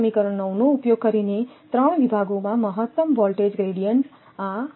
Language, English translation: Gujarati, So, using equation 9 the maximum voltage gradient in 3 sections are so